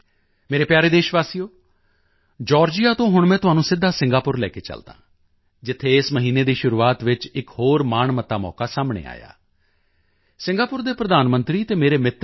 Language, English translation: Punjabi, My dear countrymen, let me now take you straight from Georgia to Singapore, where another glorious opportunity arose earlier this month